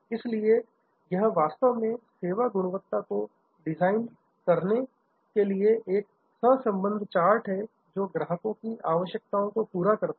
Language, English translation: Hindi, So, this is actually therefore, a correlation chart to design service quality in a way that it meets customers requirements